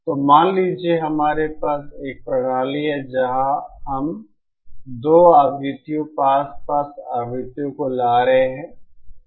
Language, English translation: Hindi, So suppose we have a system where we are introducing 2 frequencies, closely spaced frequencies